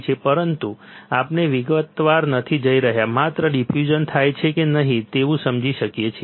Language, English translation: Gujarati, But we not going in detail just an understanding that if diffusion occurs or not